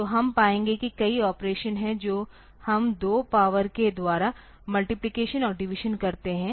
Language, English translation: Hindi, So, we will find that there are many operations that we do our multiplication and divisions by powers of 2